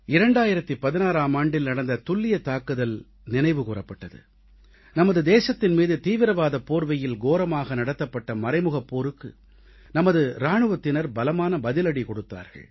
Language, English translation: Tamil, We remembered that surgical strike carried out in 2016, where our soldiers gave a befitting reply to the audacity of a proxy war under the garb of terrorism